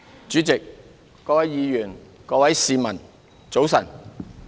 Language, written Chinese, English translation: Cantonese, 主席、各位議員、各位市民，早晨。, President Honourable Members and fellow citizens good morning